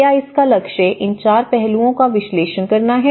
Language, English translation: Hindi, It aims to analyze these 4 aspects